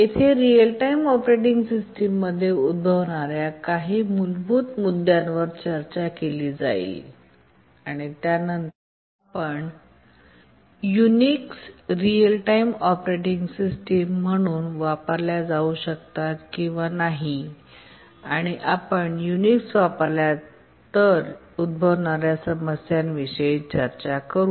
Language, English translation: Marathi, This lecture will continue with some basic issues that arise in real time operating systems and after that we'll look at whether Unix can be used as a real time operating system, what problems may arise if we use Unix as it is, and how it can be extended